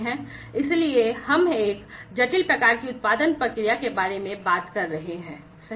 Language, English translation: Hindi, So, we are talking about a complex kind of production process, right